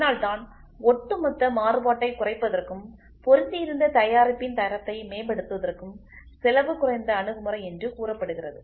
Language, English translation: Tamil, So, that is why it is said as cost effective approach for reducing the overall variation and thus improving the quality of an assembled product